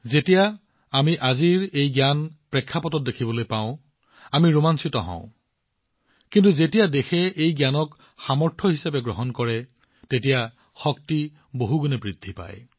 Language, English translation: Assamese, When we see this knowledge in today's context, we are thrilled, but when the nation accepts this knowledge as its strength, then their power increases manifold